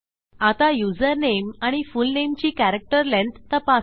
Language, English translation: Marathi, Now to check the character length of username and fullname